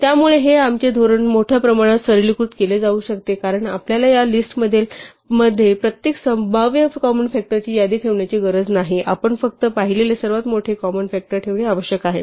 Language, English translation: Marathi, So this can be greatly simplifying our strategy because we do not need to keep the list of every possible common factor in this list; we just need to keep the largest one that we have seen